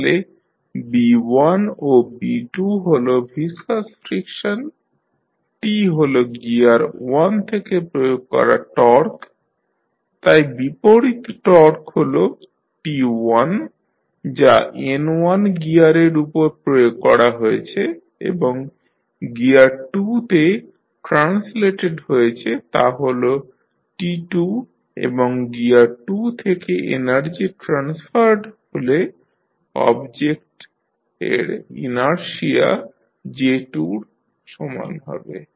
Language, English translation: Bengali, So, here you have the Coulomb frictions, then B1 and B2 are the viscous frictions, T is the torque applied from the gear 1, so the opposite torque which is T1 applied on the gear N1 and translated to gear 2 is T2 and the energy transferred from gear 2 the object which is having inertia equal to J2